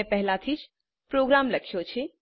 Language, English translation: Gujarati, I have already opened the program